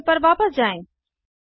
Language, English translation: Hindi, Let us go back to the Terminal